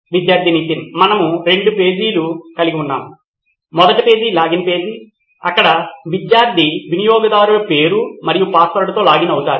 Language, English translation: Telugu, So we have two pages, the first page would be a login page where the student would login with a username and password